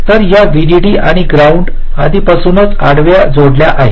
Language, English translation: Marathi, so this vdd and ground lines are already connected horizontally